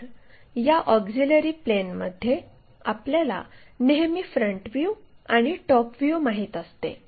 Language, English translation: Marathi, So, in this auxiliary planes thing, what we always know is front view and top view